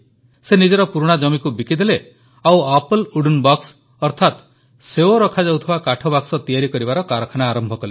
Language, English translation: Odia, He sold his ancestral land and established a unit to manufacture Apple wooden boxes